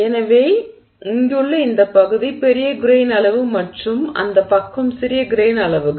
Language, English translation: Tamil, So, therefore this area, this region here is large grain size and this side is smaller grain sizes